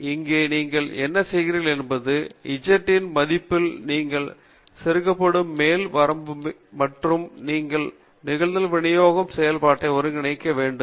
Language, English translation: Tamil, So, what you are doing here is the upper limit you plug in the value of z and then you integrate the probability distribution function